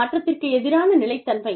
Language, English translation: Tamil, Stability versus change